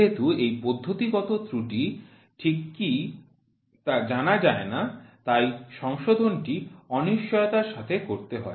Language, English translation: Bengali, As this systematic error cannot be known exactly so, correction is subjected to the uncertainty